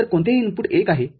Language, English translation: Marathi, So, any of the input is 1